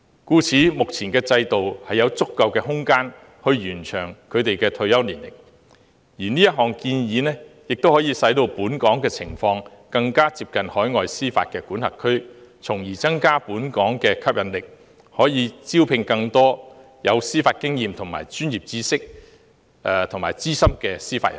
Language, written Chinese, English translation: Cantonese, 因此，現時的制度具有足夠的空間可以延長退休年齡，而這項建議亦令本港的情況更接近海外司法管轄區，從而增加本港的吸引力，以便招聘更多司法經驗及專業知識較豐富的司法人才。, Thus there is sufficient room to extend the retirement age under the present system . What is more this proposal will bring Hong Kong closer to the overseas jurisdictions thereby enhancing its attractiveness such that we can recruit more judicial talents with rich judicial experience and expertise